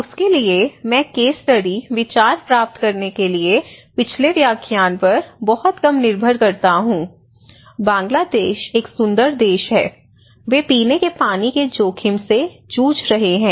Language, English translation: Hindi, For that, I would depend little on the previous lecture in order to get the case study idea, I hope you remember the Bangladesh one, so in Bangladesh we said that this is a beautiful country, they are battling with drinking water risk